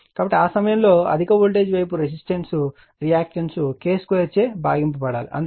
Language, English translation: Telugu, So, in that time high your high voltage side resistance reactance it has to be divided by your K square, so that is why R 1 upon K square